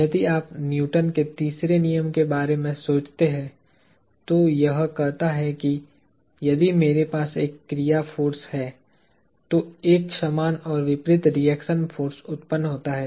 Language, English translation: Hindi, If you think of Newton’s third law, it says that, if I have an action force, there is an equal and opposite reaction force that is generated